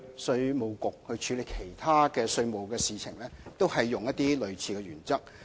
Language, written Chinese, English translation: Cantonese, 稅務局過去處理其他稅務事項時，也是使用類似的原則。, IRD has adopted similar principles in dealing with other taxation arrangements in the past